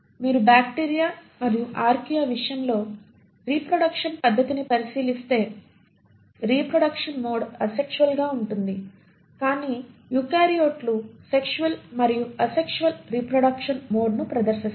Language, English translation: Telugu, If you look at the mode of reproduction in case of bacteria and Archaea the mode of reproduction is asexual, but eukaryotes exhibit both sexual and asexual mode of reproduction